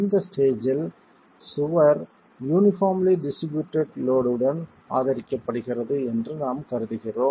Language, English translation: Tamil, At this stage we are assuming that the wall is simply supported with a uniformed distributed load